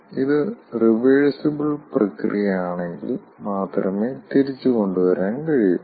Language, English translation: Malayalam, if it is a reversible process, then only it can be diverted back